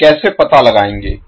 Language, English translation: Hindi, so, how to find